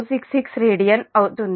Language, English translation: Telugu, this is also radian